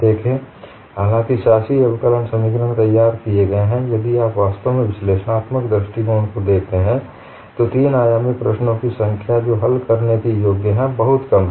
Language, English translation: Hindi, See, although the governing differential equations are formulated; if you really look at the analytical approach, the number of three dimensional problems that are solvable are very less